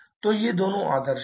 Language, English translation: Hindi, So, these two are the idealizations